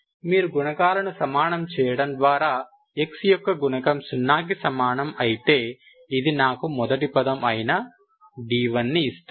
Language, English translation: Telugu, If you equate the coefficients, coefficient of x power 1 equal to zero, this will give me d 1 equal to zero, first form, Ok